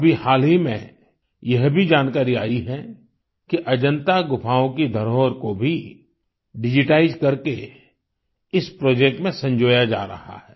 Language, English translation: Hindi, Just recently,we have received information that the heritage of Ajanta caves is also being digitized and preserved in this project